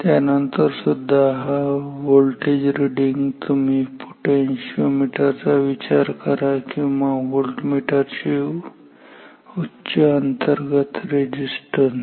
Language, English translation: Marathi, Even then this voltage reading is you can think of a potentiometer or a high internal resistance of voltmeter